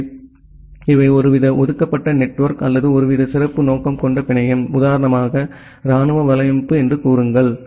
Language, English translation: Tamil, So, these are kind of reserved network or some kind of special purpose network; say for example, the military network